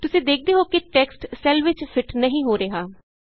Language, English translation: Punjabi, You see that the text doesnt fit into the cell